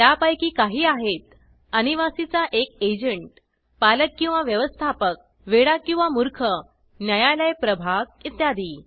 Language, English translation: Marathi, Some of them are an agent of the non resident, guardian or manager of a minor, lunatic or idiot, Court of Wards etc